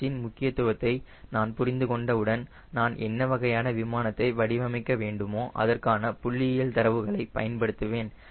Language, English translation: Tamil, once we understand the importance of v h, i use statistical data and check for what type of aeroplane i am designing